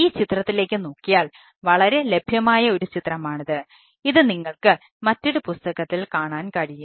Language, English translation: Malayalam, so if we look at this figure, a very popular figure available in you will find in different literature